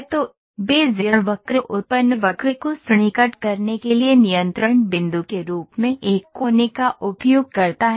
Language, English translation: Hindi, So, Bezier curve uses a vertices as a control point for approximating the generating curve